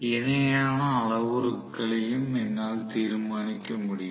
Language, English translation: Tamil, So, I will be able to determine the parallel parameters